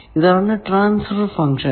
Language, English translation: Malayalam, Basically, it is a transfer function